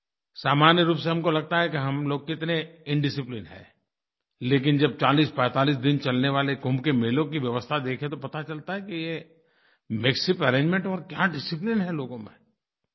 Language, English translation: Hindi, Usually, we think of ourselves as a highly undisciplined lot, but if we just look at the arrangements made during the Kumbh Melas, which are celebrated for about 4045 days, these despite being essentially makeshift arrangements, display the great discipline practised by people